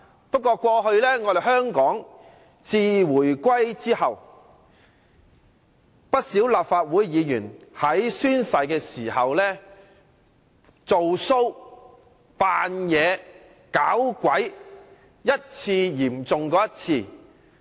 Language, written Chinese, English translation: Cantonese, 不過，自香港回歸後，不少立法會議員在宣誓時做 show、裝模作樣、"搞鬼"，程度一次較一次嚴重。, However since the reunification many Members of the Legislative Council have regarded oath - taking as a time for staging a show making pretences and employing various gimmicks . The gravity of their acts has been getting more and more serious